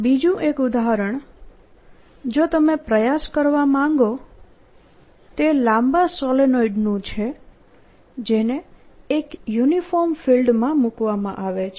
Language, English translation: Gujarati, another example you may want to try is the long solenoid which is put again in a uniform field